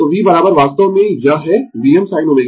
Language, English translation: Hindi, So, V is equal to actually it is V m sin omega t